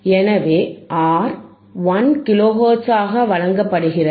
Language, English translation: Tamil, So, what is given V RR is given as 1 kilohertz